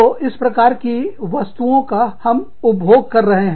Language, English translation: Hindi, So, everybody is consuming, the similar kind of stuff